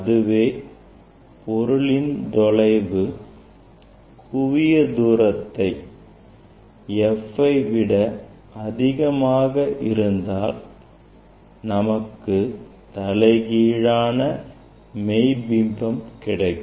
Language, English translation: Tamil, That image since distance is greater than F, we will get the inverted image and real image